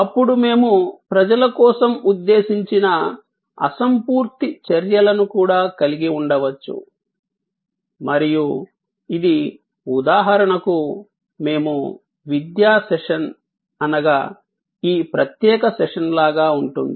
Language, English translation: Telugu, Now, we can have also intangible actions and meant for people and that will be like for example, this particular session that we are having an educational session